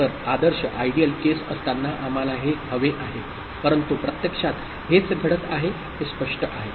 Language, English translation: Marathi, So, while ideal case we want this, but actually this is what is happening, clear